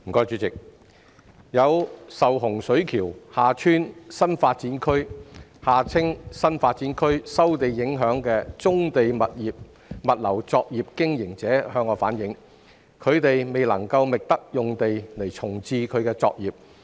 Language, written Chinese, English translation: Cantonese, 主席，有受洪水橋/厦村新發展區收地影響的棕地物流作業經營者反映，他們未能覓得用地重置作業。, President some brownfield logistics operators affected by the land resumption for the Hung Shui KiuHa Tsuen New Development Area the NDA have relayed that they are unable to find sites for reprovisioning their operations